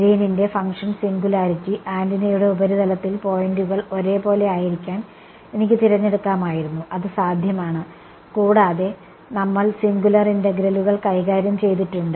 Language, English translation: Malayalam, The Green's function singularity, I could have chosen the points to be on the same on the surface of the antenna right it's possible and we have dealt with singular integrals right